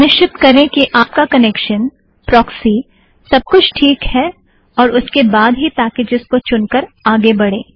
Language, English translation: Hindi, Make sure that your connection, your proxy, everything is okay and then choose the package that you like and then go ahead